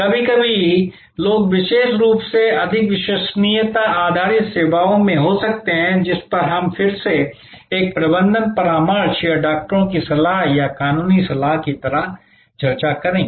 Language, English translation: Hindi, Sometimes people may particularly in more credence based services, which we will discuss again like a management consultancy or doctors advice or legal advice